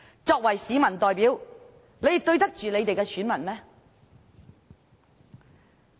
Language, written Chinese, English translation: Cantonese, 作為市民代表，他們對得起選民嗎？, As elected representatives how can they face their voters?